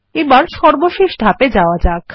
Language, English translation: Bengali, Now, let us go to the final step